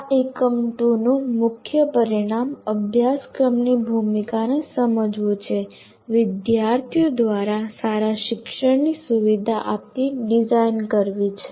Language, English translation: Gujarati, The main outcome of this unit two is understand the role of course design in facilitating good learning of the students